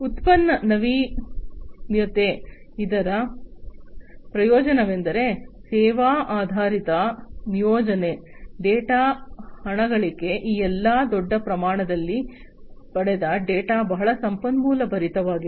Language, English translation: Kannada, Product innovation; the benefits are service oriented deployment, data monetization, all these data that are going to be retrieved huge volumes of data these are very much resource full